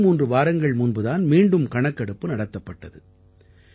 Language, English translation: Tamil, Just twothree weeks ago, the survey was conducted again